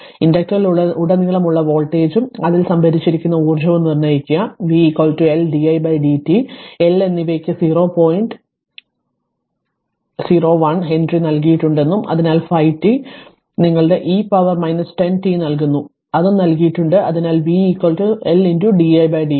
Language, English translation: Malayalam, Determine the voltage across the inductor and the energy stored in it since we know that v is equal to L into di by dt and L is given 0 point 0 1 Henry and i t is given 5 t your what you call into e to the power minus 10 t it is given it is given, so v is equal to your what you call L into d dt of i e